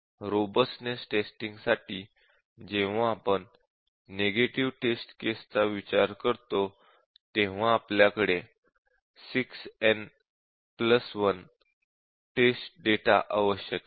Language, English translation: Marathi, So, for robustness test that is when we consider the negative test cases also, we need to gives a 6 n plus 1